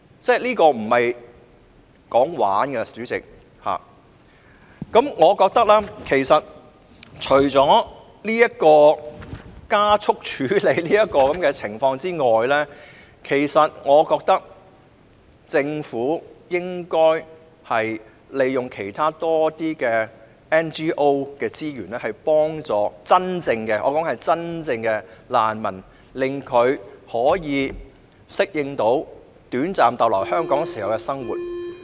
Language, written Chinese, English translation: Cantonese, 主席，這不是鬧着玩的，除了加速處理這些個案外，我覺得政府應該利用其他 NGO 的資源幫助真正的難民，令他們可以適應短暫逗留在香港時的生活。, President it is nothing to joke about . In addition to expediting the processing of these cases I think the Government should make use of the resources of other non - governmental organizations to help those genuine refugees so that they can adapt to living in Hong Kong during their short stay here